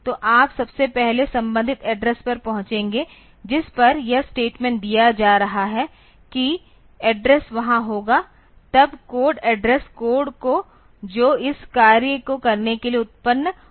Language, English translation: Hindi, So, you will first the corresponding address will be there at which this statement is being put the address will be there then the code the corresponding code that is generated for doing this thing operation